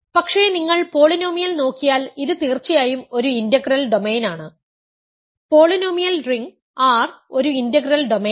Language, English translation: Malayalam, But if you look at the polynomial this is certainly a integral domain, polynomial ring R is an integral domain